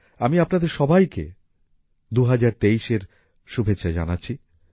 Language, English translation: Bengali, I wish you all the best for the year 2023